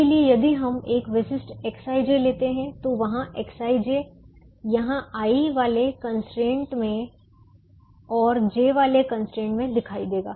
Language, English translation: Hindi, so if we take a typical x i j, that x i j will appear in the i'h constraint here and in the j't constraint in this